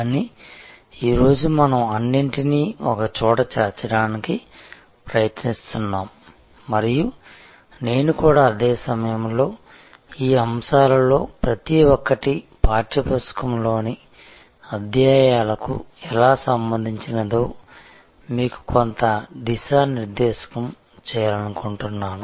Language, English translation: Telugu, But, today we are trying to put it all together and I also want to at the same time, give you some direction that how each one of these topics relate to chapters in the text book